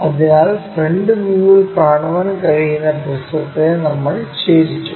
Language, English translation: Malayalam, So, we have tilted that prism which can be visible in the front view